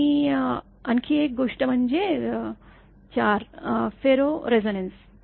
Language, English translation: Marathi, And another thing is ferro resonance